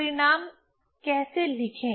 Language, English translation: Hindi, How to write the result